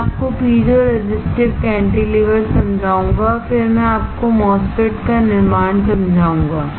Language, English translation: Hindi, I will explain to you piezo resistive cantilever and then I will explain you MOSFETs fabrication